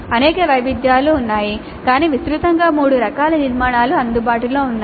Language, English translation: Telugu, There are many variations but broadly there are three kind of structures which are available